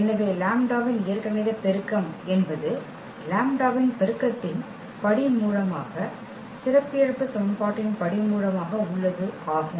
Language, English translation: Tamil, So, algebraic multiplicity of lambda as a root of the its a multiplicity of lambda as a root of the characteristic equation